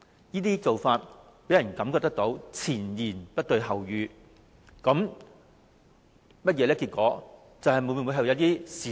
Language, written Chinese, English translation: Cantonese, 這種做法予人前言不對後語之感，當局有否隱瞞一些事實？, This kind of practice gives people an impression that the Governments contradictory remarks intended to cover up certain facts